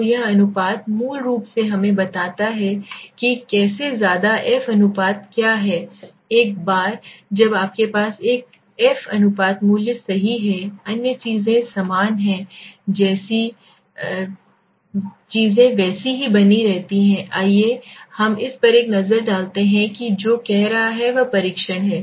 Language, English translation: Hindi, So this ratio basically tells us so how much what is the f ratio now once you have the f ratio value right other things are the same other things remain the same okay let us just have a look at it is what is saying is the test